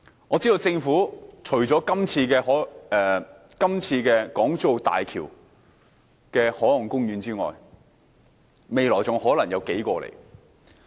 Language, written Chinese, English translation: Cantonese, 我知道政府除了這次在港珠澳大橋附近設立海岸公園外，未來還可能有數個。, I understand that several other marine parks are going to be set up apart from the one near the Hong Kong - Zhuhai - Macao Bridge